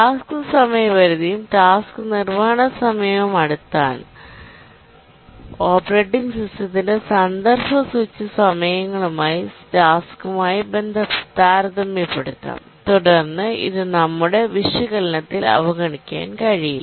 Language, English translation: Malayalam, So, when we are task deadlines and the task execution time so close, so comparable to the task, to the context switch times of the operating system, we cannot really ignore them in our analysis